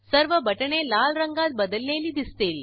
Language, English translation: Marathi, All the buttons change to Red color